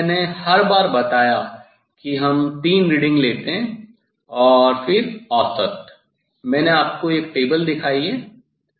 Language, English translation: Hindi, As I told every time we take three reading and then average, I have shown you table